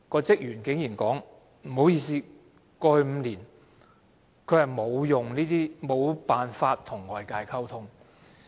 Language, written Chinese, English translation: Cantonese, 職員竟然說，不好意思，過去5年，他無法和外界溝通。, The staff member said sorry he was not able to communicate with others in the past five years